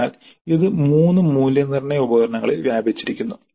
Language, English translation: Malayalam, So this is spread over 3 assessment instruments